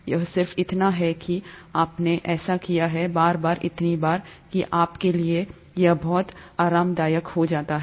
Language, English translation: Hindi, It's just that you have done, repeatedly so many times, that you become very comfortable in that